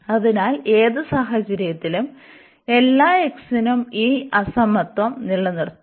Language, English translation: Malayalam, So, in any case this for all x this equality this inequality will hold